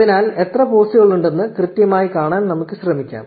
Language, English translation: Malayalam, So, let us try to see exactly how many posts are there